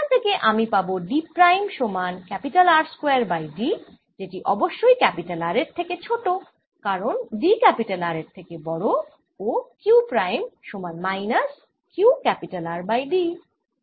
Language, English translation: Bengali, so this gives me d prime equals r square over d, which is certainly less than r because d is greater than r, and q prime equals minus q r over d